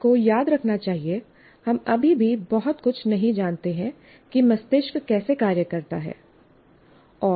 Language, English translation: Hindi, And you should also remember, the teacher should remember, we still do not know very much how brain functions and how people learn